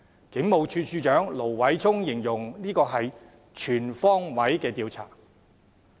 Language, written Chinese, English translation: Cantonese, 警務處處長盧偉聰形容這是全方位的調查。, The Commissioner of Police Stephen LO said that an investigation on all fronts would be conducted